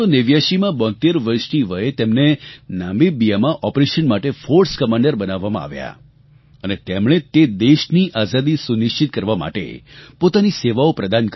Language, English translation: Gujarati, In 1989, at the age of 72, he was appointed the Force Commander for an operation in Namibia and he gave his services to ensure the Independence of that country